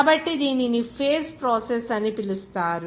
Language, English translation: Telugu, So this is called to phase process